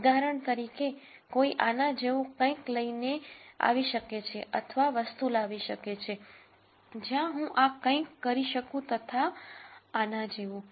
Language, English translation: Gujarati, For example, one could may be come up with something like this or one could may be come up with things where I just do something like this and so, on